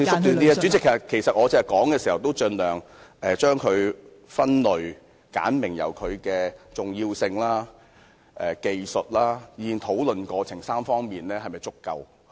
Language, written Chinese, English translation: Cantonese, 代理主席，其實我剛才已盡量將它分類，簡明地由《條例草案》的重要性、技術，以至討論過程3方面是否足夠來說。, In fact Deputy President I did my best to be systematic just now speaking succinctly on three areas regarding the importance and technicality of the Bill as well as the sufficiency of discussion about it